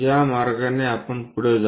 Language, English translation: Marathi, This is the way we go ahead